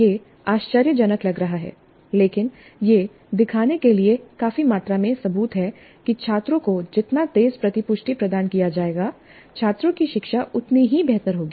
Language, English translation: Hindi, It looks surprising, but there is considerable amount of evidence to show that the faster, the quicker the feedback provided to the students is the better will be the students learning